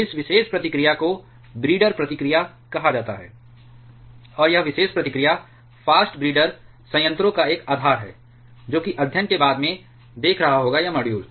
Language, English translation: Hindi, This particular reaction is called breeder reaction, and this particular reaction is a basis of fast breeder reactors which is will be seeing studying in a later module